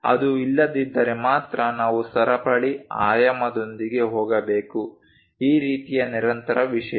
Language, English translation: Kannada, If that is not there then only, we should go with chain dimensioning; this kind of continuous thing